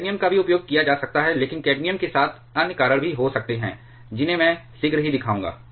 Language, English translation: Hindi, Cadmium can also be used, but there can be other reasons with cadmium which I shall be showing shortly